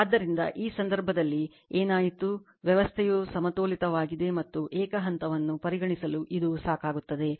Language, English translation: Kannada, So, in this case what happened, the system is balanced and it is sufficient to consider single phase right